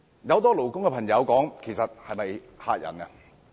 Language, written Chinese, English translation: Cantonese, 很多勞工界的朋友皆問這是否嚇人。, Many people in the labour sector wonder if they simply want to intimidate us